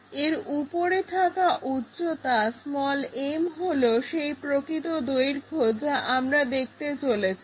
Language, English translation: Bengali, The true length what we might be going to see is this one m